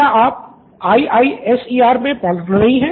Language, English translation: Hindi, Are you a student of IISER